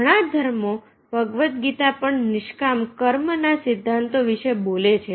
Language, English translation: Gujarati, many religions, even the bhagavad gita, speaks about the principles of nishkam karma